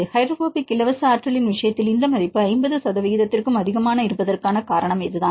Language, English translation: Tamil, And this is the reason why this value of more than 50 percent in the case of the hydrophobic free energy